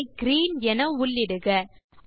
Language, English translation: Tamil, Select Color as Green